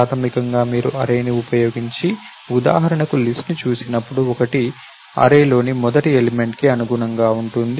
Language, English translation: Telugu, So, basically when you look at list for example using an array, one corresponds to the first element in the array